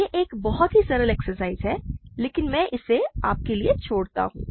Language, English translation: Hindi, It is a very simple exercise, but I will leave this for you to do